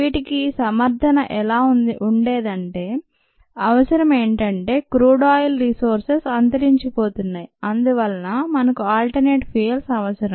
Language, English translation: Telugu, the justification was the need was the crude oil sources are running out and therefore we need alternative liquid fuels